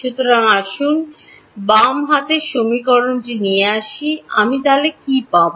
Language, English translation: Bengali, So, let us take the left hand side of equation 1, what will I get